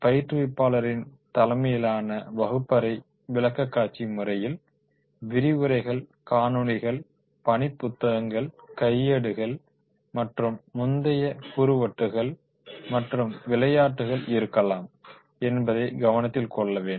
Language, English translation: Tamil, It is important to note that the instructor laid classroom presentation methods may include lectures, videos, workbooks, manuals and earlier the CD rooms and games are there